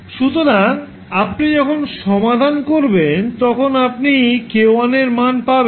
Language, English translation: Bengali, So, when you solve, you will get simply the value of k1